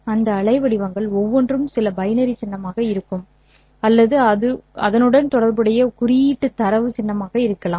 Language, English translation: Tamil, Each of those waveforms would be some binary symbol or it would be a data symbol associated with that